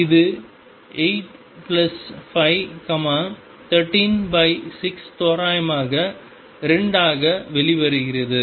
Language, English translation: Tamil, And that comes out to be 8 plus 5, 13 over 6 roughly 2